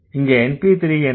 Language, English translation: Tamil, So, what is np3